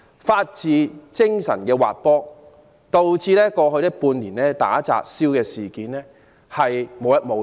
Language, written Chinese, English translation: Cantonese, 法治精神的滑坡，導致過去半年打砸燒事件無日無之。, As the spirit of the rule of law diminishes cases of assault vandalism and arson occurred on a daily basis in the past six months